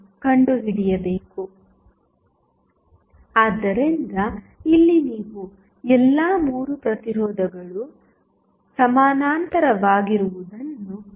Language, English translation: Kannada, So, here you will see all the 3 resistances are in parallel